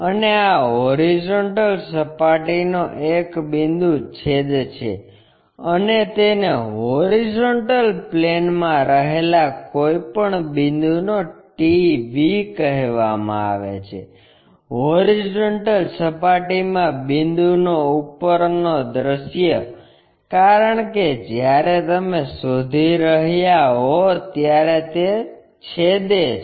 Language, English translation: Gujarati, And this is a point on horizontal plane, and it is called TV of a point in HP also; top view of a point in horizontal plane, because it is intersecting when you are looking for